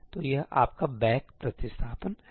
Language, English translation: Hindi, So, this is your back substitution